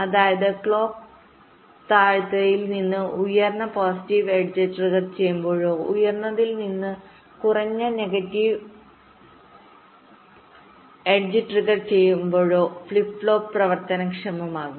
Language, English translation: Malayalam, that means the flip flop gets trigged whenever the clock goes from low to high positive edge trigged, or from high to low negative edge trigged